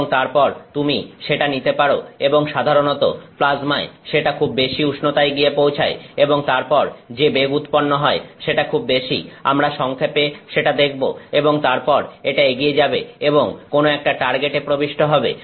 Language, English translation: Bengali, And, then you can take and that usually the temperature is reached in the plasma are very high and then and the velocity is generated are very large; we will see that briefly and then it goes and impinges on some target